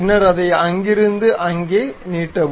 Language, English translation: Tamil, Then extend it from there to there